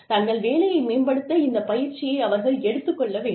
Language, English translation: Tamil, They need to take this training, and use it to better their work